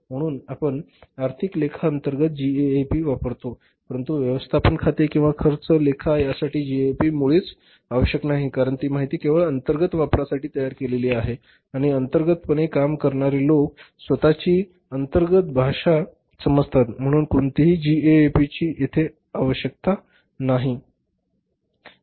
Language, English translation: Marathi, So, we use the gap under the financial accounting but this gap is not required at all for the management accounting or the cost accounting because that information is generated or created for the internal use only and internally people understand their own internal language so no gap is required